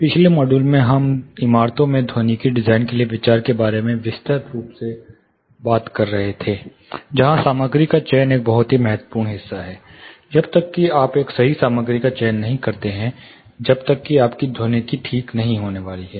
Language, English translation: Hindi, You know the last module we were talking in elaborate about considerations for acoustical design in buildings, where material selection is a very crucial part, unless you select a right material your acoustics is not going to be alright